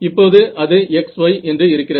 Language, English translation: Tamil, So, this x e